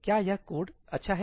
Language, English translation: Hindi, Is this code good